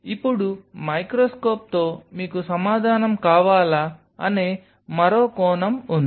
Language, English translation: Telugu, Now with a microscope there is another aspect which answer, do you want